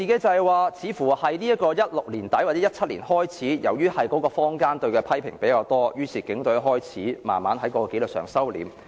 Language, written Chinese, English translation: Cantonese, 由2016年年底或2017年年初開始，由於坊間對警隊的批評較多，於是警隊開始慢慢在紀律上收斂。, From end of 2016 or early 2017 the Police Force have been a bit mindful about their discipline in response to widespread criticisms in society